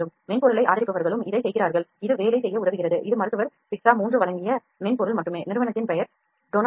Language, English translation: Tamil, Those are supporting software’s are also there that helps to work on this, this is just the software that is provided by doctor Picza doctor Picza 3, the name of the company is Ronald